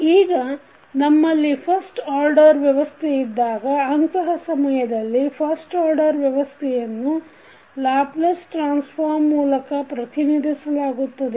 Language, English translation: Kannada, Now, if we have a first order system then in that case the first order system can be represented by the Laplace transform